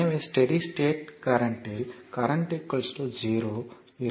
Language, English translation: Tamil, So, at steady state current will be your 0